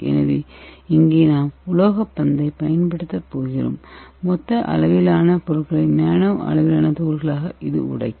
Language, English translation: Tamil, So here we are going to use the metallic ball, so that is going to break your bulk material into nano size particle